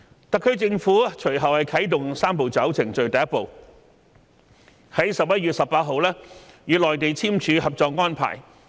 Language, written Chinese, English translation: Cantonese, 特區政府隨後啟動"三步走"程序的第一步，於11月18日與內地簽署《合作安排》。, The SAR Government subsequently started the first step of the Three - step Process by signing the Co - operation Arrangement on 18 November with the Mainland authorities